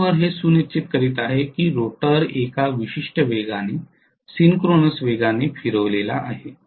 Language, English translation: Marathi, The prime mover is making sure that the rotor is rotated at a particular speed, synchronous speed